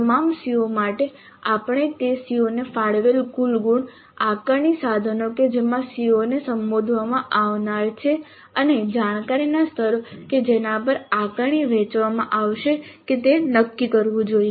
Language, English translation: Gujarati, For all CEOs we must decide the marks, total marks allocated to that COO, the assessment instruments in which that CO is going to be addressed and the cognitive levels over which the assessment is to be distributed